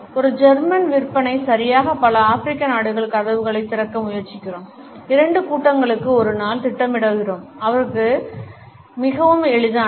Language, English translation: Tamil, A German sales exactly we are trying to open doors in a number of African countries schedule two meetings a dye, for him quite easygoing